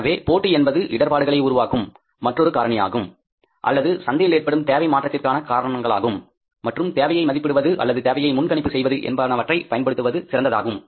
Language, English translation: Tamil, So, competition is another important factor which creates a problem which means causes the change in the demand and we have to make use of this while estimating the demand or forecasting the demand for the in the time to come